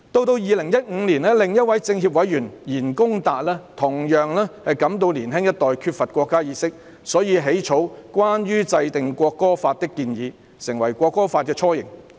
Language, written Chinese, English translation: Cantonese, 至2015年，另一位全國政協委員言恭達同樣感到年輕一代缺乏國家意識，故此起草《關於制定國歌法的建議》，成為《國歌法》的雛形。, Then in 2015 YAN Gongda another member of the National Committee of CPPCC also felt the lack of national awareness of the young generation . He thus drafted the proposal on the enactment of a national anthem law which became the embryonic form of the National Anthem Law . I hope Dr Priscilla LEUNG will be clear about this point